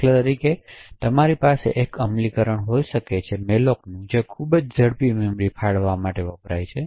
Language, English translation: Gujarati, So, for instance you may have one implementation of malloc which very quickly can allocate and deallocate memory